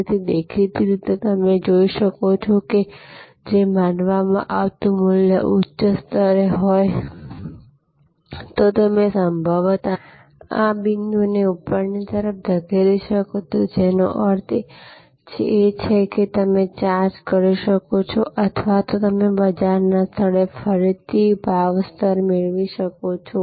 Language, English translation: Gujarati, So, obviously as you can see that, if the value perceived is at a high level, then you can possibly push this point upwards, which means you can charge or you can get again a higher price level in the market place